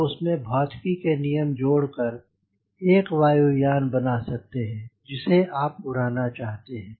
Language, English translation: Hindi, then you add the law, physics and make the aeroplane the way you wanted to fly